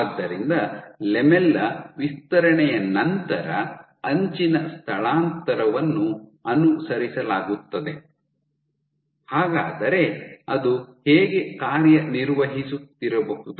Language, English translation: Kannada, So, edge displacement followed by expansion of the lamella, so how is it working